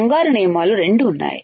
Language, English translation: Telugu, Two golden rules understood